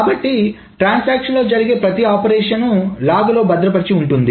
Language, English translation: Telugu, Every transaction operation is recorded in the log